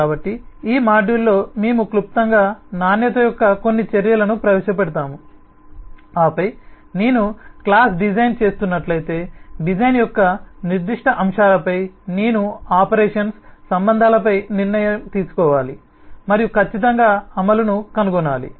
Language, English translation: Telugu, so in this module we will briefly introduce some measures of quality and then, on the specific aspects of design, like if i am doing a class design, then i need to decide on the operations, the relationships and certainly find the implementation